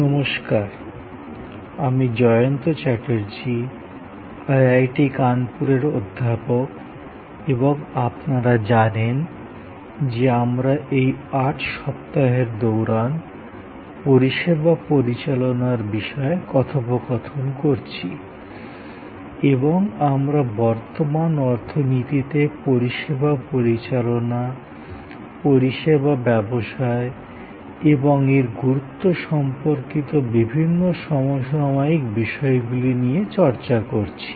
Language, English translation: Bengali, Hello, I am Jayanta Chatterjee, Professor at IIT, Kanpur and as you know, we are interacting over these 8 weeks on Managing Services and we are looking at various contemporary issues relating to service management, service business and its importance in today's economy